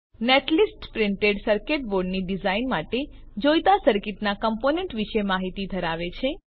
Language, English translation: Gujarati, Netlist file contains information about components in the circuit required for printed circuit board design